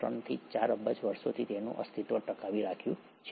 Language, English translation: Gujarati, 5 to 4 billion years